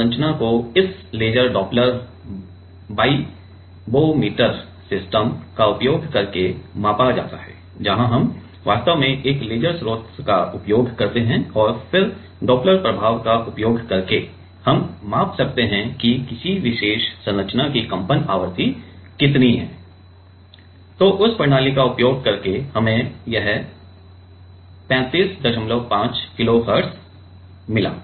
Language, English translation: Hindi, So, this structure while measured using this laser doppler vibrometer system, where we use actually a laser source and then using doppler effect we can measure the how much is the vibration frequency of this of a particular structure, using that system we got it 35